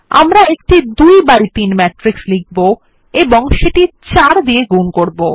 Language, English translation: Bengali, We will write a 2 by 3 matrix and multiply it by 4